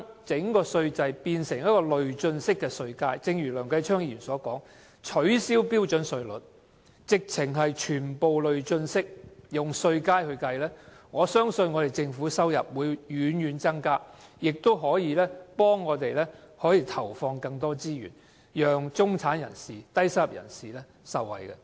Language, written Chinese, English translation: Cantonese, 如果把稅制變成累進式稅階，正如梁繼昌議員建議取消標準稅率，全部改用累進式稅階計算，我相信政府的收入將會大大增加，屆時便可以投放更多資源，讓中產和低收入人士受惠。, If we adopt progressive tax bands and abolish the standard rate as proposed by Mr Kenneth LEUNG so that tax payment will be calculated on the basis of progressive tax bands I believe government revenue will greatly increase . The Government can then devote more resources and bring benefits to the middle class and low - income earners